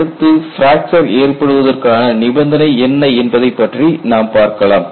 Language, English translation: Tamil, Next we move on to what is the condition for onset of fracture